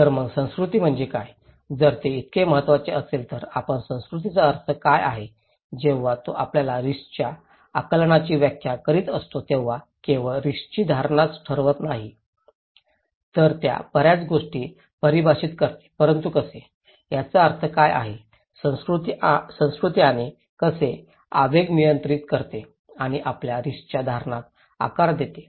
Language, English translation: Marathi, So, what is culture then, if it is so important, let us look here that what is the meaning of culture, when it is defining our risk perceptions, not only risk perception, it defines many things but how, what is the meaning of culture and how the impulse control and shape our risk perceptions